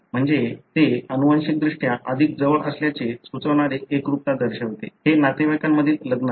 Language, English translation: Marathi, So that represents consanguinity suggesting that they are genetically more closer; this is a marriage within relatives